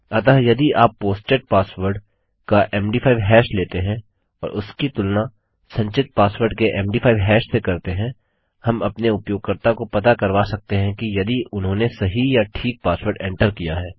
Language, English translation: Hindi, So if you take the MD5 hash of the posted password and compare that to the MD5 hash of the stored password, we can let our user know if theyve entered the correct or right password